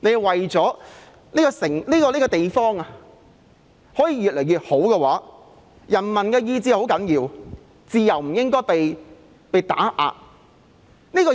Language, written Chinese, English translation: Cantonese, 想這個地方越來越好，人民的意志是很重要的，自由不應該被打壓。, The will of the people is crucial for the betterment of a place . Freedom should not be suppressed